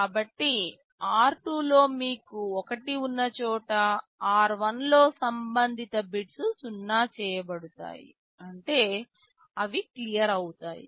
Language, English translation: Telugu, So, wherever in r2 you have 1 those corresponding bits in r1 will be made 0; that means those will be cleared